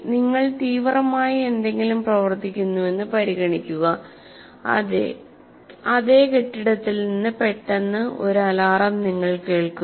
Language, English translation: Malayalam, An example is you are working on something intently and you suddenly hear an alarm in the same building